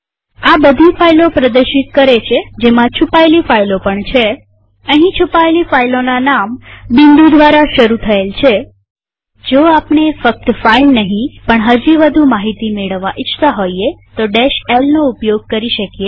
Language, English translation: Gujarati, This shows all the files including the hidden files(hidden files here are filenames starting with dot (.)) If we not only want to see the file but also get more information we can use the minus l option